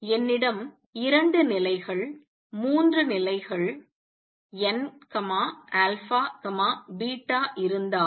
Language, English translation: Tamil, Let us say if I have two levels, three levels, n alpha beta